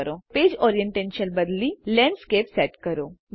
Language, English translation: Gujarati, Now change the page orientation to Landscape